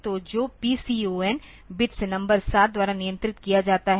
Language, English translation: Hindi, So, that is controlled by the PCON registers bit numbers 7